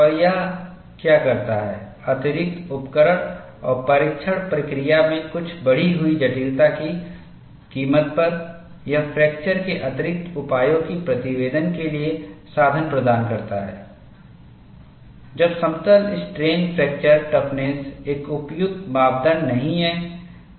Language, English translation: Hindi, And what it does is, at the expense of additional instrumentation and some increased complexity in the test procedure, it provides the means for reporting additional measures of fracture, when plane strain fracture toughness is not an appropriate parameter